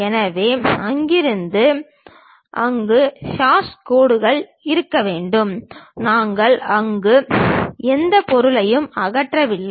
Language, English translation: Tamil, So, from there to there, there should be hashed lines; we did not remove any material there